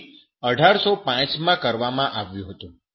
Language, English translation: Gujarati, That was done in 1805